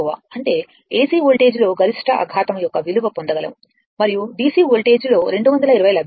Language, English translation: Telugu, That means, in AC voltage you will get the peak value shock and DC voltage you will get 220